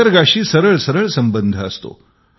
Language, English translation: Marathi, There is a direct connect with nature